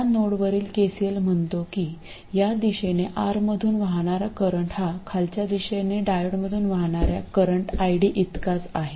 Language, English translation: Marathi, So, KCL at that node says that the current flowing through R in this direction equals ID which is current flowing through the diode in the downward direction